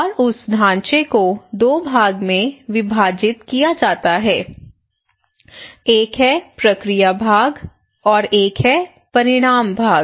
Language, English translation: Hindi, And that framework can be divided into two part, one is the process part one is the outcome part